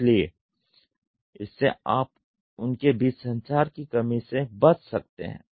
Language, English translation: Hindi, So, you will have there can avoid a lack of communication between them